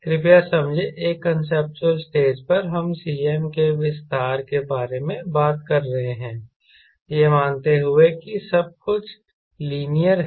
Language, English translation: Hindi, please understand, at a conceptual stage we are talking about the expansion of cm, assuming everything to be linear, ok, so if this is a point zero